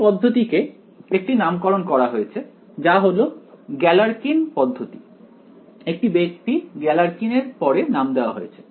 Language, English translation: Bengali, This method is given is called by the name Galerkin’s method, named after its person by the name Galerkin